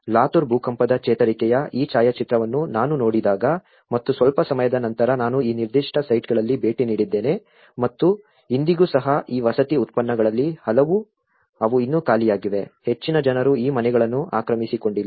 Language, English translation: Kannada, When I saw this photograph of the Latur Earthquake recovery and after some time I visited these particular sites and even today, many of these housings products they are still vacant not many people have occupied these houses